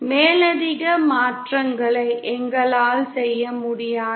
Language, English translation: Tamil, We cannot make any further changes